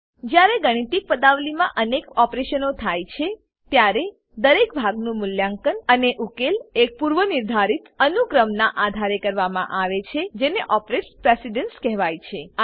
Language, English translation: Gujarati, When several operations occur in a mathematical expression, each part is evaluated and resolved in a predetermined order called operator precedence